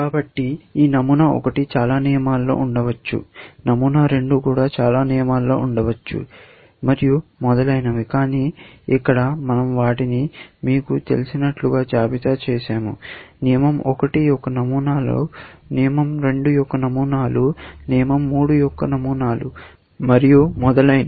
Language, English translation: Telugu, So, for the upper, this pattern 1 may be there in many rules; pattern 2 may be there in many rules, and so on, but here, we have listed them as, you know; patterns of rule 1; patterns of rule 2; patterns of rule 3; and so on